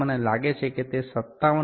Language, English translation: Gujarati, We can see that it is exactly 57